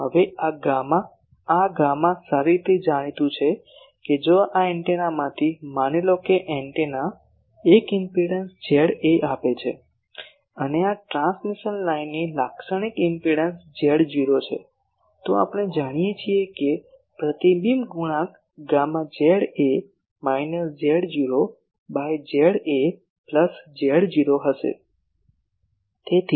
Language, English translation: Gujarati, Now this gamma, this gamma is well known that if from these antennas int suppose the antenna is giving an impedance Z A and the characteristic impedance of this transmission line is Z not then we know that the reflection coefficient gamma will be Z A minus Z not by Z A plus Z not